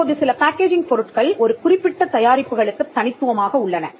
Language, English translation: Tamil, Now there are some packaging materials there are unique to a particular product that can also be covered